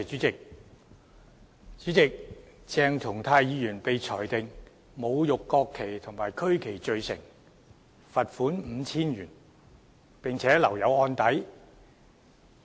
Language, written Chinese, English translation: Cantonese, 主席，鄭松泰議員被裁定侮辱國旗及區旗罪成，罰款 5,000 元，並留有案底。, President Dr CHENG Chung - tai was convicted by the Court of desecrating the national flag and regional flag . He was given a fine of 5,000 as well as an imposition of a criminal record